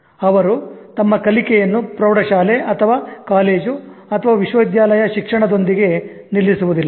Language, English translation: Kannada, Learning is not something they stop with high school or with college or with university education